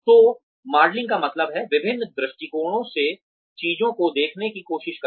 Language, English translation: Hindi, So, modelling means, trying to see things from different perspectives